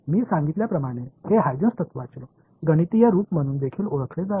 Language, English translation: Marathi, This as I mentioned was is also known as the mathematical form of Huygens principle